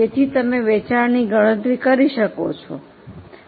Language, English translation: Gujarati, So, you can calculate the sales which is 1,067,000